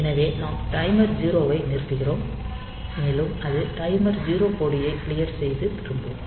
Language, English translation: Tamil, So, we stop the timer 0, and it will clear the timer 0 flag and it will return